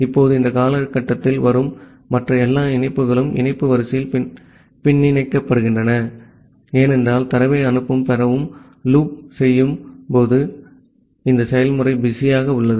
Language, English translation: Tamil, Now all other connection, which comes in this duration are backlogged in the connection queue, because the process is busy inside this while loop to send and receive data